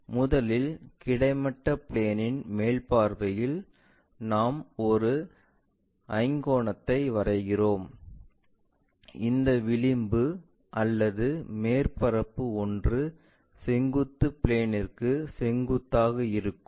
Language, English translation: Tamil, First of all, in the top view on the horizontal plane we draw a pentagon, where one of this edge or surface is perpendicular to vertical plane